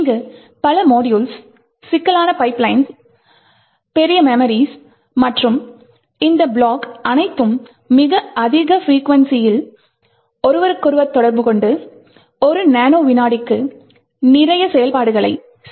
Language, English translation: Tamil, There are multiple modules, a large number of pipelines, large memories and all of these blocks are actually interacting with each other at very high frequency and doing a lot of operations per nano second